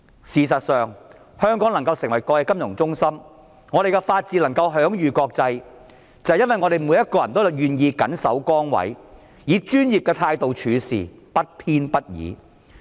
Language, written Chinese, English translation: Cantonese, 事實上，香港能夠成為國際金融中心，我們的法治能夠享譽國際，是因為每一個人均願意緊守崗位，以專業的態度處事，不偏不倚。, In fact the reason why Hong Kong has become an international financial centre and our rule of law enjoys a worldwide reputation is that every one of us is willing to stay committed to our work with professionalism and impartiality